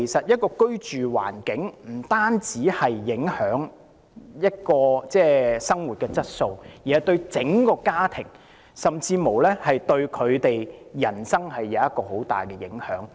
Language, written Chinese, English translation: Cantonese, 因此，居住環境不單影響生活質素，對整個家庭甚至人生也有很大影響。, Therefore the living environment not only affects ones quality of life it also has great impact on the entire family and even their life